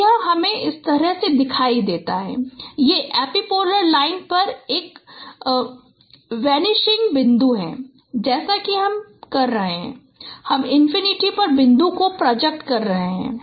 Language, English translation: Hindi, So, so you this is this shows you that that is the vanishing point over the epipolar line as you are your projecting the points at infinities